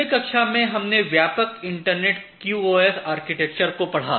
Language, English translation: Hindi, So, in the last class, we have looked into the broad internet QoS architecture